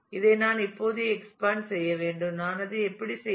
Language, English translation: Tamil, I need to actually expand this now how do I do that